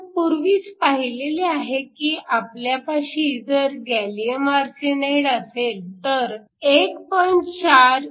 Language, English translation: Marathi, We already saw that, if you had gallium arsenide and gallium arsenide with a band gap of 1